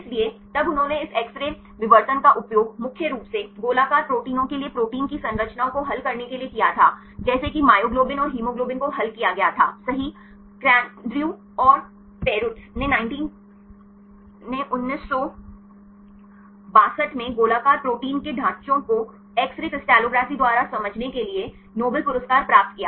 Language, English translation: Hindi, So, then they used this X ray diffraction to solve the structures of proteins mainly for the globular proteins say myoglobin and the hemoglobin this was solved structures right, Kendrew and Perutz right they got Nobel Prize in 1962 for understanding the structures of globular proteins use the X ray crystallography